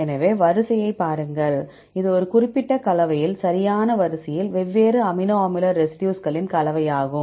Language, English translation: Tamil, So, look at the sequence; it is the combination of different amino acid residues in a specific combination right, sequence